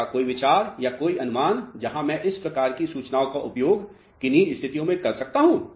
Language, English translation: Hindi, Any idea or any guess where I can utilize in what type of situations these type of information